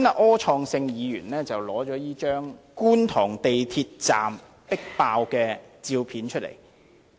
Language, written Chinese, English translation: Cantonese, 柯創盛議員剛才拿出這張觀塘港鐵站迫爆的照片。, Mr Wilson OR just took out a picture of an extremely crowded MTR Kwun Tong Station